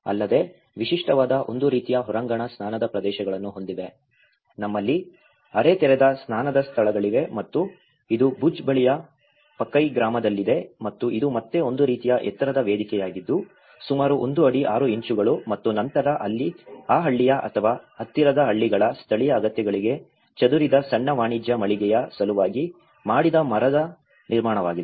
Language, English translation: Kannada, Also, the typical bath, they have a kind of outdoor bathing areas like we have a semi open bath spaces and also this is in Pakai village near Bhuj and this is a kind of again a raised platform about one feet six inches and then there is a wooden construction which has been made for a small commercial entity which is scattered to the local needs of that village or nearby villages